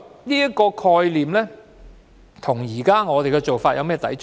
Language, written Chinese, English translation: Cantonese, 這個概念與我們的做法有何抵觸？, What is the contradiction between this concept and our approach?